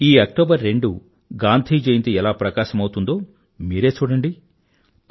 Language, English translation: Telugu, You will see how the Gandhi Jayanti of this 2nd October shines